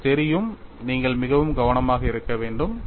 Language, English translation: Tamil, So, that is what you have to be very careful about it